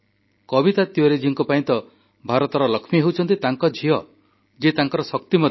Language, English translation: Odia, For Kavita Tiwari, her daughter is the Lakshmi of India, her strength